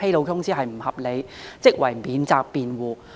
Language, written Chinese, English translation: Cantonese, 首先，合理辯解是免責辯護。, First a reasonable excuse is a defense